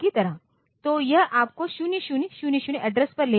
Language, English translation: Hindi, So, it will take you to the address 0000